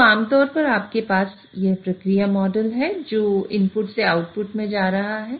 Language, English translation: Hindi, So, typically you have this process model which is going from input to the output